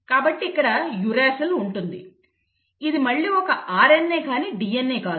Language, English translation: Telugu, because there is no thymine so you will have a uracil; this is again an RNA it is not a DNA